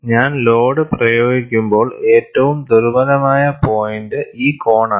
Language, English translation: Malayalam, When I apply the load, this corner is the weakest point